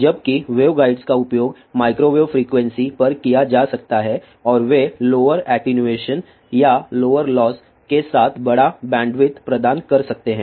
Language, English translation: Hindi, Whereas, waveguides can be used at microwave frequency is and they can provide larger bandwidth with lower attenuation or lower losses